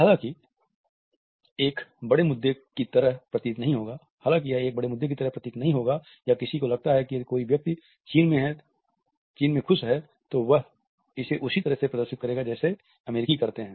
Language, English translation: Hindi, While this might not seem like a large issue or one would think that if a person is happy in China, they will show it the same way as if Americans do